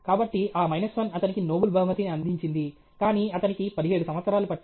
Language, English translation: Telugu, So, that minus 1 got him the Nobel prize, but it took 17 years for him